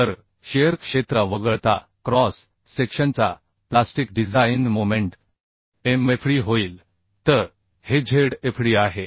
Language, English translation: Marathi, So excluding shear area, the plastic design moment of the cross section will become Mfd, as